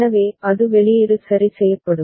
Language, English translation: Tamil, So, it will get transferred to the output ok